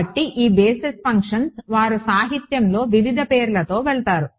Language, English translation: Telugu, So, these basis functions they go by various names in the literature right